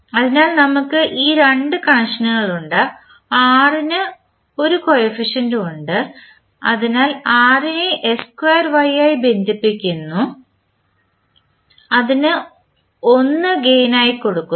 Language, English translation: Malayalam, So, we get these two connections and r is having 1 as coefficient so r is connected to s square y with 1 as the gain